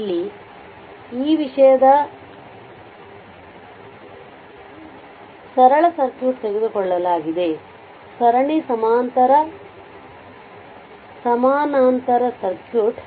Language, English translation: Kannada, So, here your a simple circuit of a this thing is taken, a series parallel your parallel circuit right